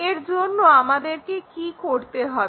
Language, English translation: Bengali, So, what we have to do is